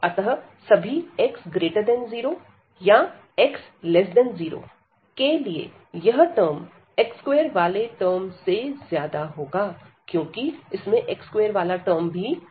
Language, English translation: Hindi, So, for all x greater than 0 or x less than 0 this term is going to be larger than this x square term, because x square term already sets here